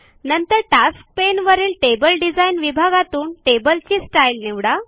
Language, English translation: Marathi, Then from the Table Design section on the Tasks pane, select a table style